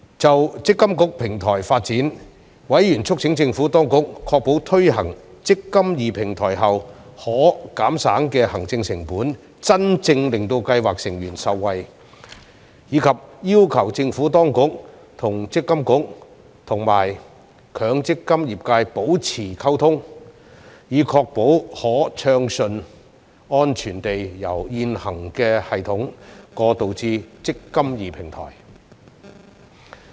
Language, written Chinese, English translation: Cantonese, 就"積金易"平台的發展，委員促請政府當局確保推行"積金易"平台後可減省的行政成本能真正令計劃成員受惠，以及要求政府當局和強制性公積金計劃管理局與強積金業界保持溝通，以確保可順暢安全地由現行系統過渡至"積金易"平台。, On the development of the electronic mandatory provident funds platform members urged the Administration to ensure scheme members could genuinely benefit from the possible savings in scheme administration costs after the implementation of the eMPF Platform and requested the Administration and the Mandatory Provident Fund Schemes Authority to have ongoing dialogue with the mandatory provident fund industry to ensure smooth and secure transition from the existing system to the eMPF Platform